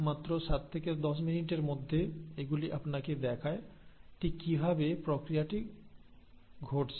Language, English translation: Bengali, In just 7 to 10 minutes, they exactly show you how the process is happening